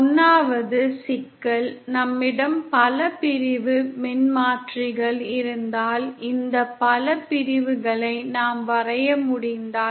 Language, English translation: Tamil, The 1st problem if we have with multi sections transformers is, if we can draw this multi sections